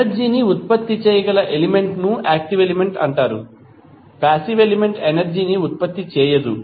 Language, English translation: Telugu, The element which is capable of generating energy while the passive element does not generate the energy